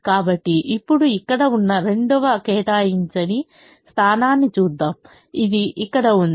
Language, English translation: Telugu, let me now look at the second unallocated position which is here